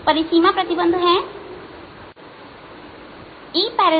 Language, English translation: Hindi, the boundary conditions are e